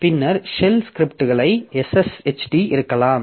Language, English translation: Tamil, Then there may be a shell script, SS HD